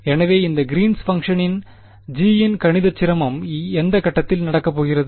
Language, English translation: Tamil, So, the mathematical difficulty with this Green’s function G is going to happen at which point